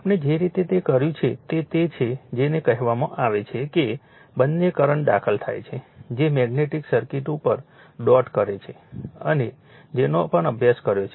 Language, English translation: Gujarati, The way we have done it that you you you are what you call both current are entering into that dot the magnetic circuit whatever you have studied, right